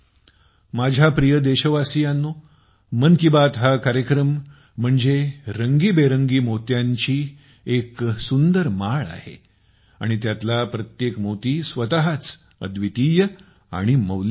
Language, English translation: Marathi, My dear countrymen, 'Mann Ki Baat' is a beautiful garland adorned with colourful pearls… each pearl unique and priceless in itself